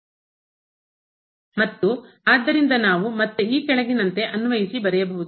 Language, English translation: Kannada, and therefore, we can apply so, again I have written down